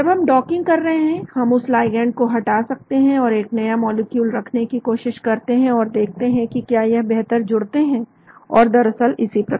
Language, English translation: Hindi, When we are doing docking we can remove that ligand and try to put a new molecule inside and see whether they bind better and so on actually